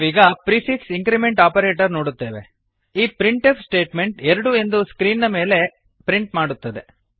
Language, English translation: Kannada, We now come to the prefix increment operators This printf statement prints 2 on the screen